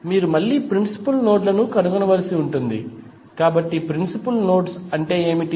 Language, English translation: Telugu, You have to again find out the principal nodes, so what are the principal nodes